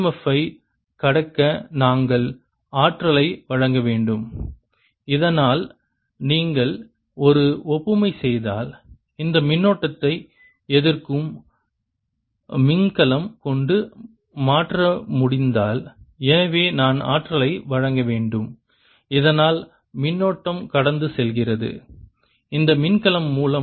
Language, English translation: Tamil, we have to work, then we have to supply energy to overcome this e m, f, so that, if you make an analogy, this can be replaced by a battery which is opposing the current and therefore i have to supply energy so that the current passes through the this battery